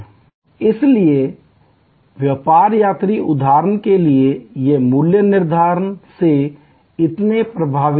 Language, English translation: Hindi, So, business travelers for example, they are not so much affected by pricing